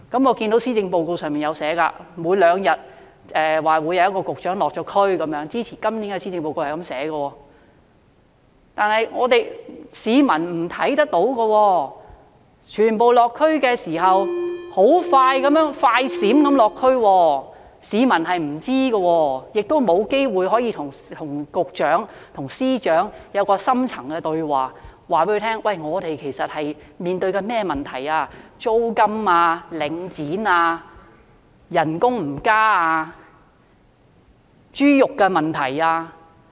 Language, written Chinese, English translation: Cantonese, 我看到施政報告提出，說每兩天便會有一名局長落區，這是寫在今年的施政報告內的，但我們市民卻看不到，因為全部落區的時間也是"快閃式"的，市民並不知道，也沒有機會可以與局長和司長進行深層對話，告訴他們市民正面對甚麼問題，包括租金、領展、工資沒有增加、豬肉價格等問題。, But our people did not see them because all visits to the community were done in a flash . The people were not aware of them . Nor did they have the opportunity to have any in - depth dialogue with the Directors of Bureaux or Secretaries of Departments and tell them what problems they are facing including the issues of rent Link REIT no increase in wages and the price of pork